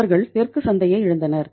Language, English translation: Tamil, They lost the southern market